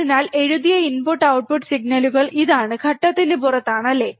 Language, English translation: Malayalam, So, this is what is written input and output signals are out of phase, right